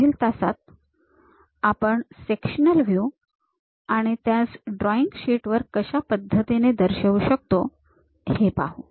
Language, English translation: Marathi, In next class, we will learn more about the sectional views and represent them on drawing sheet